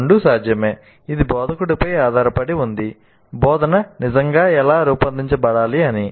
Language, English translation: Telugu, Both are possible, it is up to the instructor how the instruction is really designed